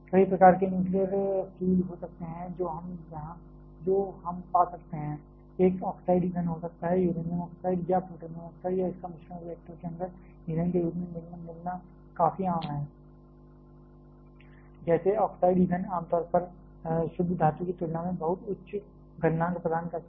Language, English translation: Hindi, There can be several types of nuclear fuels that we can find one can be oxide fuels, it is quite common to find uranium oxide or plutonium oxide or a mixture of that as the fuel in the inside the reactor, like a oxide fuels generally offer very high melting point compare to the pure metal itself